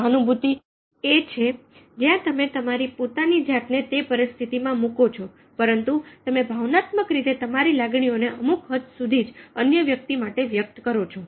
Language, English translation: Gujarati, sympathy is where you are putting on your own shoes, but from there you are emotionally expressing your feelings to a certain extend for the other person